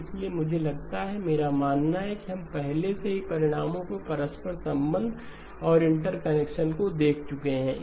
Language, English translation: Hindi, So I assume, I believe we have already looked at the interchanging of results and interconnection